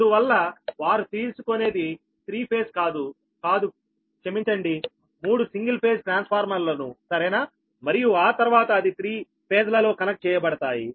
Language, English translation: Telugu, thats why what they do they take three phase, sorry, the three single phase transformer right, and after that they connected in three phases